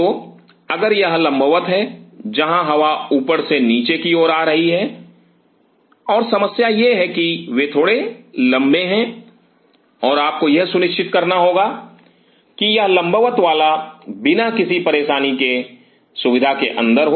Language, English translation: Hindi, So, if it is a vertical one where the air is coming from the top to bottom and the problem is they are slightly taller and you have to ensure that this vertical one gets inside the facility without any hassel